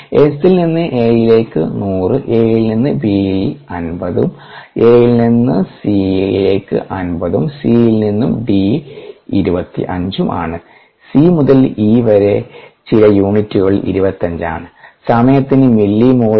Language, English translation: Malayalam, s to a is hundred, a to b is fifty, and a to c is fifty, and c to d is twenty five, c to e is twenty five, and some units, mille mole per ah time, whateverrate